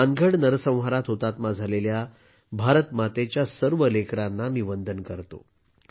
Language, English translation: Marathi, I salute all the children of Ma Bharati who were martyred in that massacre